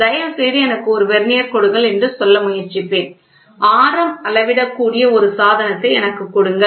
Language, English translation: Tamil, I will try to say please give me a Vernier; please give me a device where it can measure the radius